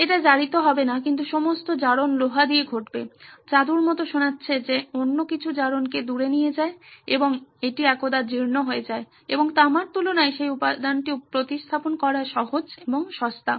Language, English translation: Bengali, It would not corrode but all the corrosion would happen with iron, sounds like magic that something else takes the corrosion away and that gets corroded once that and it is easier and cheaper to replace that material compared to copper which is more expensive